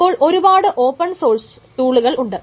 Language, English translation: Malayalam, So there are many open source tools